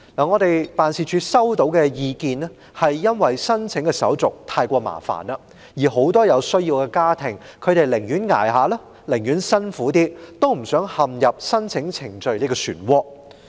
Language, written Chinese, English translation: Cantonese, 我們的辦事處收到的意見是，由於申請在職家庭津貼的手續太繁複，很多有需要的家庭寧願撐下去、辛苦一點，也不想陷入申請程序的漩渦。, The view received by our office is that since the application procedures of the Working Family Allowance are too complicated many families in need would rather work harder to hang on by themselves than get bogged down in the application process